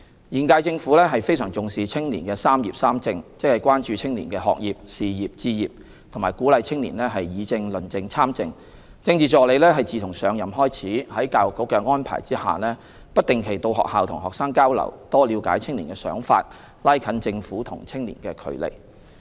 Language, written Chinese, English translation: Cantonese, 現屆政府非常重視青年"三業、三政"，即關注青年學業、事業、置業，並鼓勵青年議政、論政、參政，政治助理自上任開始，在教育局的安排下，不定期到學校與學生交流，多了解青年的想法，拉近政府與青年的距離。, The current - term Government attaches particular importance to youth development work by addressing young peoples concerns on education career pursuit and home ownership and encouraging their participation in public policy discussion debate and political activities . In this regard since the Political Assistants assumed office they have been visiting schools from time to time as arranged by the Education Bureau to have exchanges with students to learn more about their thinking so as to close the gap between the Government and the youth